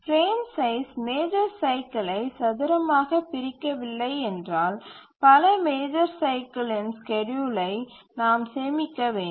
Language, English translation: Tamil, If the frame size does not squarely divide the major cycle, then we have to store the schedule for several major cycles